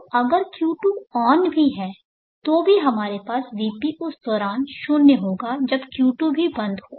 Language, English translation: Hindi, So even if Q2 is on we will have VP is 0 during that time when the Q2 is off also